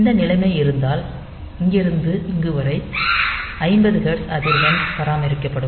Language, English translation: Tamil, So, this is that that 50 hertz frequency will be maintained